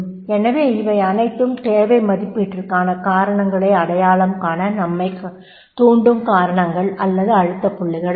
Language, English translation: Tamil, So, all these are the reasons are the pressure points which creates you to identify causes for the need assessment